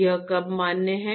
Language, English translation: Hindi, When is it valid